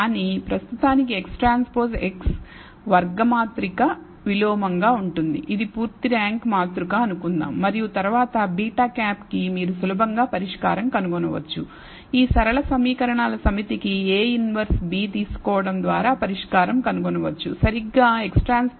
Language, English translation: Telugu, But at for the time being let us assume that X transpose X which is a square matrix is invertible it is a full rank matrix and then you can easily find the solution for beta hat solve this linear set of equations by taking a inverse b which is exactly X transpose X inverse X transpose y